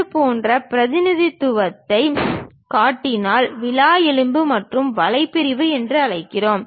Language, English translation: Tamil, If we show such kind of representation, we call rib and web section